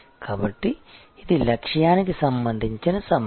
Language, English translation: Telugu, So, this is the issue about targeting